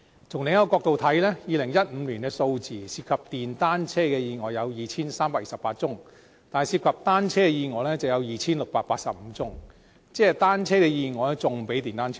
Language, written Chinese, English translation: Cantonese, 從另一個角度來看 ，2015 年的數字，涉及電單車的意外有 2,328 宗，但涉及單車的意外有 2,685 宗，即單車的意外比電單車還要多。, Let us look at this matter from another angle . Statistics show that in 2015 there were 2 328 accidents involving motorbikes . But there were 2 685 accidents involving bicycles